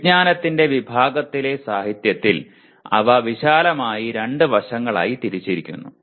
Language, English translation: Malayalam, In the literature they are broadly divided into two aspects